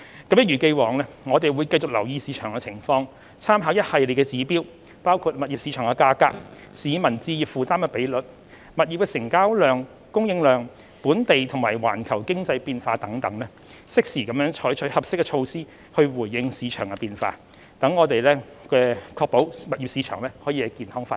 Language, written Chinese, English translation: Cantonese, 一如既往，政府會繼續留意市場情況，參考一系列指標，包括物業市場價格、市民置業負擔比率、物業成交量和供應量、本地和環球經濟變化等，適時採取合適的措施回應市場變化，確保物業市場健康發展。, The Government will as always keep watch on the market conditions and take timely and appropriate measures in response to market changes by making reference to a series of indicators including property prices the home purchase affordability ratio transaction volume and supply of properties and local and global economic changes with a view to ensuring the healthy development of the property market